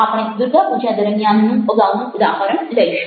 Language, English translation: Gujarati, we will take the earlier example: during durga puja